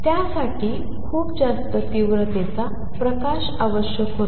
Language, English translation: Marathi, It required very high intensity light